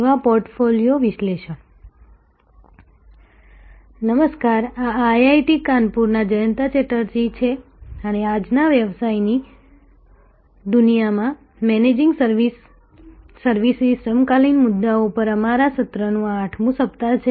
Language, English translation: Gujarati, Hello, this is Jayanta Chatterjee from IIT, Kanpur and this is our 8th week of sessions on Managing Services Contemporary Issues in the present day world of business